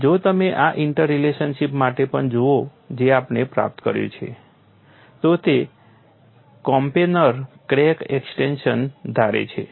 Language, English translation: Gujarati, And if you look at even for this interrelationship which we have obtained, it assumes coplanar crack extension